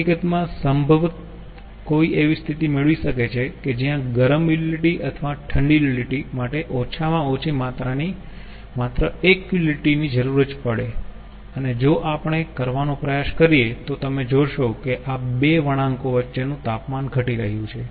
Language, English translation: Gujarati, in fact, probably one can get a situation that only one utility of minimum quantity, either hot utility or cold utility, will be needed, and if we try to do so you will see that the temperature between these two curves are decreasing